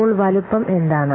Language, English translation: Malayalam, So, what is size